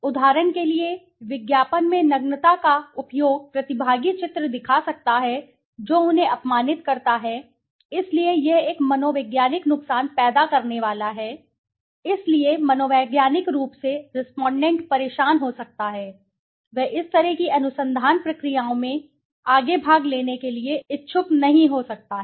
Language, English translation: Hindi, For example use of nudity in advertising may show participant images that offend them, so this is going to create a psychological harm, so psychologically the respondent might get disturbed; he might not be interested to further participate in such kind of research you know, processes